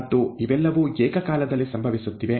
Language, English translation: Kannada, And all of these are simultaneously occurring